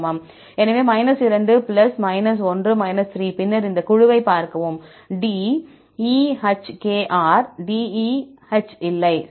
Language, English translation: Tamil, So, 2 + 1 3 and then see this group D E H K R; D E, H is not there, right